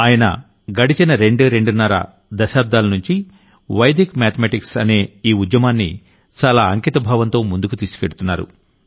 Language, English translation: Telugu, And for the last twoandahalf decades, he has been taking this movement of Vedic mathematics forward with great dedication